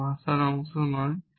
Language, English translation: Bengali, It is not part of the language